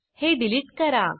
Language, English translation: Marathi, Let us delete this